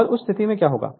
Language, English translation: Hindi, And in that case what will happen